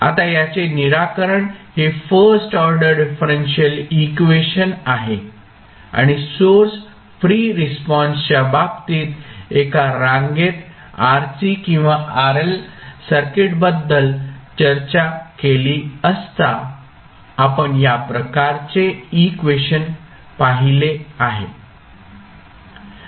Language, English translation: Marathi, Now, the solution of this because this is a first order differential equation and we have seen these kind of equations when we discussed the series rc or rl circuits in case of source free response